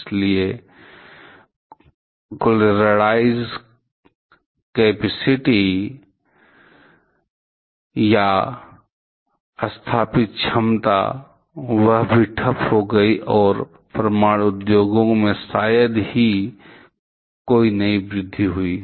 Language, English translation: Hindi, So, total realized capacity or installed capacity, that also got stalled and there are hardly any new growth in the nuclear industry